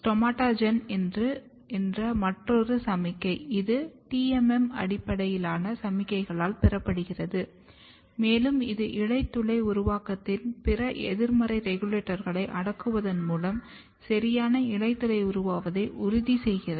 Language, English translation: Tamil, But another signaling which is STOMAGEN, it is received by TMM based signaling and this ensures proper stomata formation by repressing other negative regulators of the stomata formation